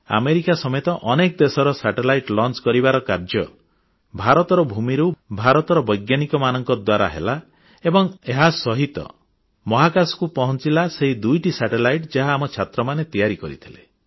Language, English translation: Odia, Along with America, the satellites of many other countries were launched on Indian soil by Indian scientists and along with these, those two satellites made by our students also reached outer space